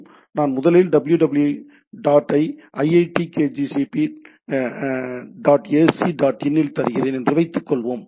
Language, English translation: Tamil, So, say I give “www dot iitkgp ac dot in” in my browser